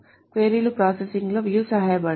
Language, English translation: Telugu, Views helps in query processing